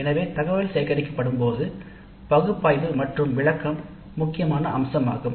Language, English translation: Tamil, So when the data is collected, analysis and interpretation of the data is a crucial aspect